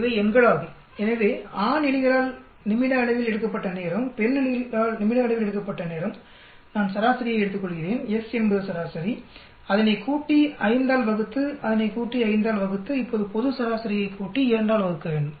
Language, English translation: Tamil, These are the numerics of this so I have the time taken by the male rats in minutes, time taken by the female rats in minutes, I take the average, average is s sum it up, divide by 5, sum it up, divide by 5, now the global average will be sum it up, divided by 2